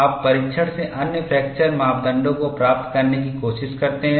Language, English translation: Hindi, So, you do not give up; you try to get other fracture parameters from the test